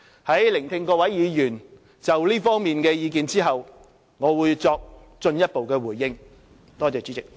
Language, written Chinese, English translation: Cantonese, 在聆聽各位議員就這方面的意見後，我會作進一步回應。, After listening to the views expressed by Honourable Members I will make a further response